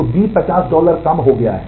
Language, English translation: Hindi, So, B has become 50 dollar less